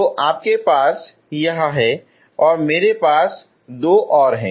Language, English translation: Hindi, So what you have is this and I have two more